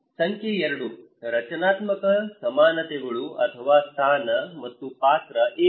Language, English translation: Kannada, Number 2; structural equivalents or position and role what is that